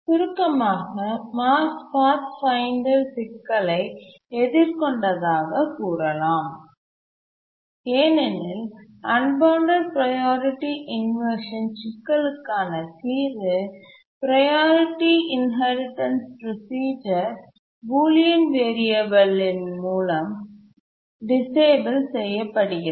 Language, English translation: Tamil, In summary, I can say that the Mars 5th Pathfinder was experiencing problem because the solution to the unbounded priority inversion in the form of a priority inheritance procedure was disabled by the bullion variable